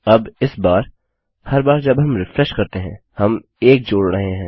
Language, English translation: Hindi, Now this time, we are adding 1 each time we refresh